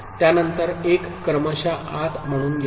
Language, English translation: Marathi, After that 1 comes as the serial input